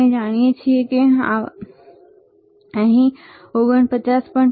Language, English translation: Gujarati, Even we know we see, here 49